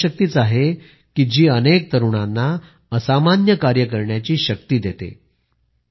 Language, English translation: Marathi, It is this will power, which provides the strength to many young people to do extraordinary things